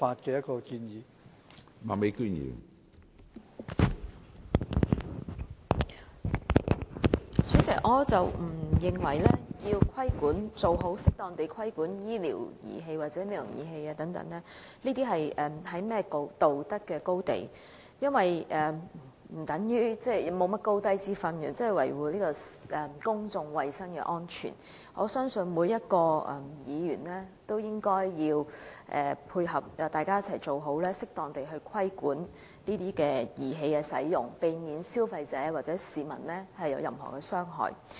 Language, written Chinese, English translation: Cantonese, 主席，我不認為適當規管醫療或美容儀器是甚麼道德高地，因為維護公眾衞生及安全是理所當然的，我相信每位議員都應該配合，大家一起做好此事，適當地規管這些儀器的使用，避免消費者或市民遭受傷害。, President I do not think that appropriate regulation on medical or cosmetic devices is related to any moral high ground because protecting public health and safety is something should be done by rights . I believe every Member should pitch in and work together to properly take forward this matter so that these devices can be appropriately regulated to prevent consumers or members of the public from getting hurt